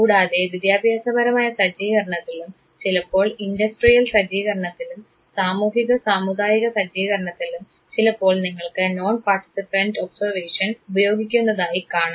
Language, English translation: Malayalam, Even in educational set up, sometime in the industrial set up, social community another setting also you can find the non participant method being used